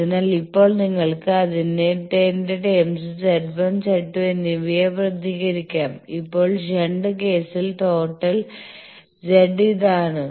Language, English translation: Malayalam, So, now you can represent your Z 1 and Z 2 in terms of that, now in the shunt case the total Z in is this